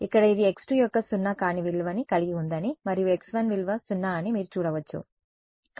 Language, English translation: Telugu, Over here, you can see that this has a non zero value of x 2 and a value of x 1 is 0 right